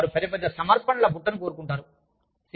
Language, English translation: Telugu, So, they want a larger basket of offerings